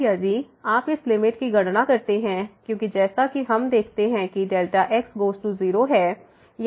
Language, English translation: Hindi, Now, if you compute this limit because as we see delta goes to 0